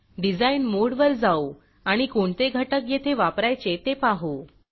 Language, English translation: Marathi, Lets go back to Design mode and see what components well use today